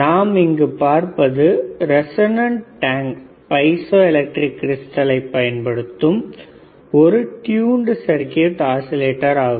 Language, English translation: Tamil, So, what we see here is a tuned circuit oscillator using piezoelectric crystals a as its resonant tank